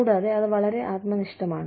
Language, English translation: Malayalam, And, that is very subjective